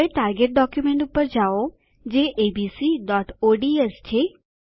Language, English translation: Gujarati, Now switch to the target document, which is abc.ods